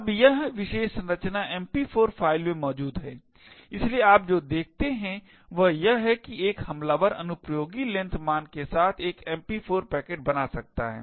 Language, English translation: Hindi, Now, this particular structure is present in the MP4 file, so what you see is that an attacker could create an MP4 packet with a corrupted length value